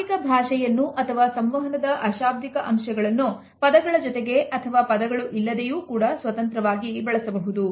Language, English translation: Kannada, Body language or nonverbal aspects of communication can be used either in addition to words or even independent of words